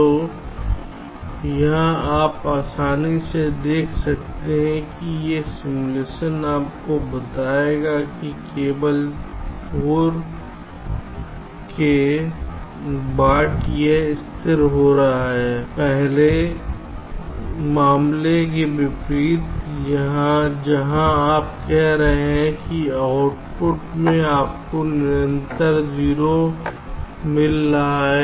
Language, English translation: Hindi, ok, so here you can easily see, this simulation will tell you that only after four it is getting stabilized, unlike the earlier case where you are saying that in output you are getting a constant zero